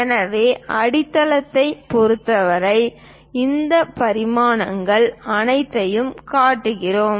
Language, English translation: Tamil, So, with respect to base, we are showing all these dimensions